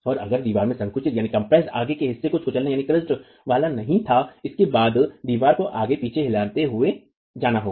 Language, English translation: Hindi, And if the wall were not going to crush at the compressed toe, then the wall is simply going to go rocking back and forth